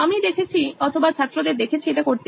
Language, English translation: Bengali, I have seen or seen students do it